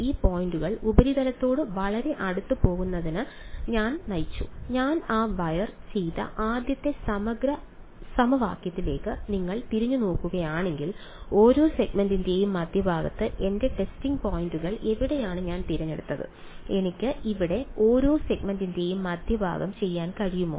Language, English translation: Malayalam, I led these points go very close to the surface, if you look thing back at the first integral equation that I did that wire where did I pick my testing points middle of each segment; can I do middle of each segment here